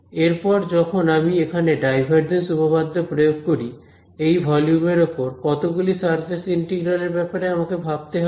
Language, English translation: Bengali, Then when I apply the divergence theorem to this volume over here, how many surface integrals will I have to take care of